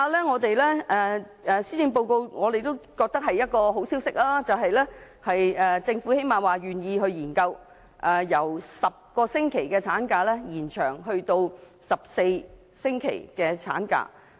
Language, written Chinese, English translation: Cantonese, 我們覺得施政報告發表了一個好消息，就是政府最低限度願意研究把產假由10星期延長至14星期。, As for maternity leave we find a good piece of news in the Policy Address that is the Government is prepared to study the possibility of extending maternity leave from 10 weeks to 14 weeks